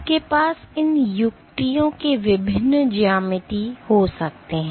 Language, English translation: Hindi, So, you can have various geometries of these tips